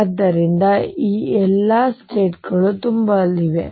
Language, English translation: Kannada, So, all these states are going to be filled